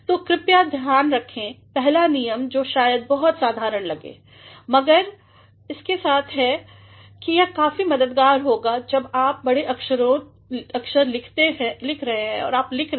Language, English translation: Hindi, So, please do remember the very first rule which may appear to be very ordinary, but it will be quite helpful when you are capitalizing when you are writing